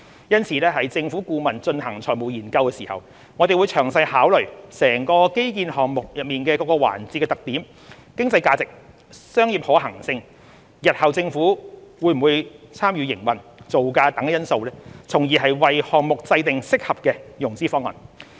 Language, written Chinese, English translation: Cantonese, 因此，政府顧問進行財務研究時，會詳細考慮整個基建項目內各個環節的特點、經濟價值、商業可行性、日後政府會否參與營運、造價等因素，從而為項目制訂適合的融資方案。, To this end in conducting the financial study the consultant will work out suitable financing arrangements taking into account the characteristics of each component of the project its economic value commercial viability whether the Government will take part in its future operation and project cost etc